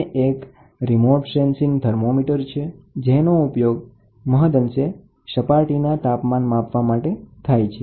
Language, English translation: Gujarati, It is a remote sensing thermometer used to measure the temperature of a surface